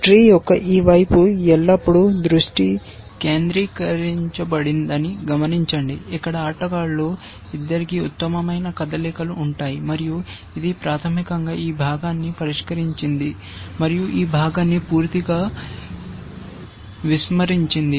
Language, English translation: Telugu, Observe that it is attention is always been focused towards this side of the tree where the best moves lie for both the players, and it has basically solved this part and ignored this part altogether essentially